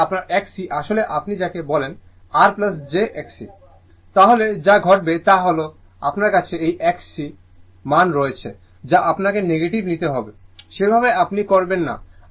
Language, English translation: Bengali, In that case your X c actually your what you call if you write R plus j X c, then in that what will happen that you this X c value you have to take negative, that way you do not do